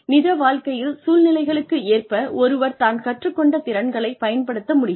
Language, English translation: Tamil, Being able to apply the skills, that one has learnt to real life situations